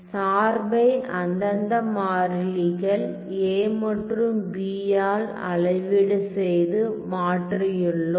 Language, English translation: Tamil, So, I have scaled and I have shifted my function by the respective constants a and b ok